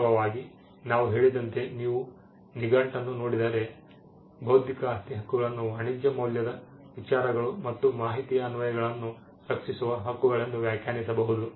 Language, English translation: Kannada, In fact, as I mentioned if you look a dictionary meaning intellectual property rights can be defined as rights that protect applications of ideas and information that are of commercial value